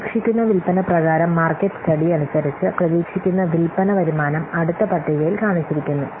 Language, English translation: Malayalam, The expected sales as for the market study, the expected sales income as for the market study are shown in the next table like this